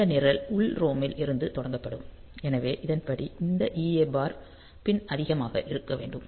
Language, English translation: Tamil, So, this program will be started from the internal ROM; so that way this EA bar pin should be high